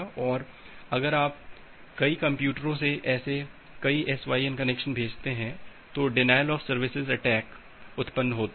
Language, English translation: Hindi, And if you are sending multiple such SYN connections from multiple computers, that translates to a denial of service attacks